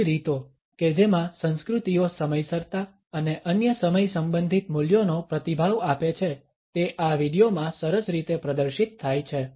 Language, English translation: Gujarati, The different ways in which cultures respond to punctuality and other time related values is nicely displayed in this video